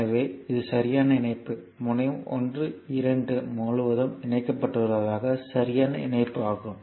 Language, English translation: Tamil, So, it is a valid connection this is a valid connection at they are connected across terminal 1 2 so, it is a valid connection